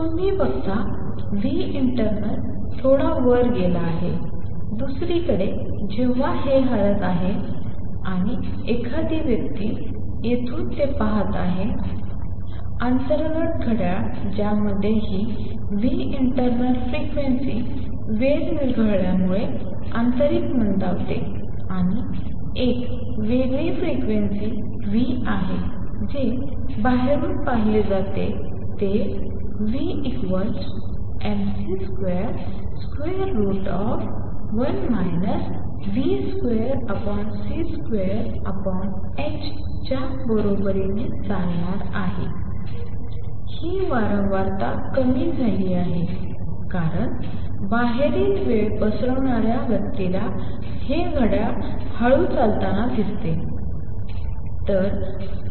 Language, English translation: Marathi, You see nu internal has gone up a bit, on the other hand when this is moving and a person is watching it from here the internal clock that had this frequency nu internal slows down due to time dilation, and there is a different frequency nu which is observed from outside which is going to be equal to nu equals mc square root of 1 minus v square over c square over h, this frequency has gone down because the time dilation outside person sees this clock running slow